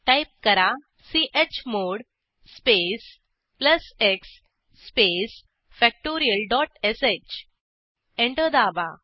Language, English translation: Marathi, Type: chmod space plus x space factorial dot sh Press Enter